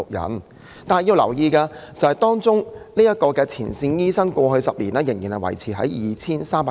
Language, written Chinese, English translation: Cantonese, 不過，大家要留意，前線醫生的數目過去10年依然維持在 2,300 人。, But Members should note that the number of frontline doctors has remained at 2 300 over the past decade